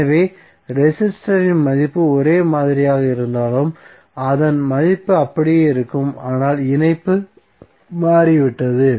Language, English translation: Tamil, So although resistor value is same but, its value will remain same but, the association has changed